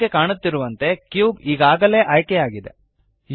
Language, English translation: Kannada, As you can see, the cube is already selected